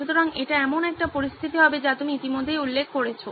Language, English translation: Bengali, So this would be a situation where you have already mentioned